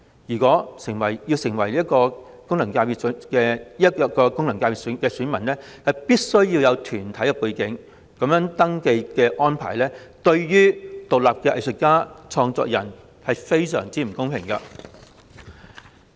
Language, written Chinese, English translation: Cantonese, 因此，想成為這個功能界別的選民，便必須要有團體背景。這種登記安排對於獨立藝術家和創作人而言，相當不公平。, As one must have corporate background in order to become an elector of this FC this kind of registration arrangement is very unfair to independent artists and creators